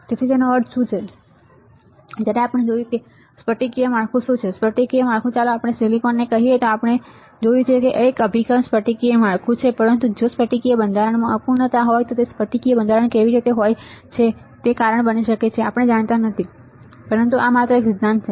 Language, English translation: Gujarati, So, what does it mean that when we have seen what is crystalline structure, the crystalline structure let us say in silicon we have seen 100, it is a orientation right crystalline structure, but how the crystalline structures are if there is a imperfections in crystalline structure then it may cause it may we do not know, but this is just a theory right